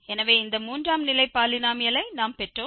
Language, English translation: Tamil, So, we got this third degree polynomial